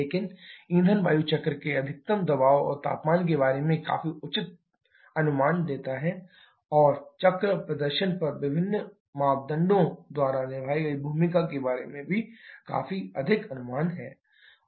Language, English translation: Hindi, But fuel air cycle gives a quite reasonable estimate about the maximum pressure and temperature of the cycles and also a quite reasonable estimate about the role played by different parameters on the cycle performance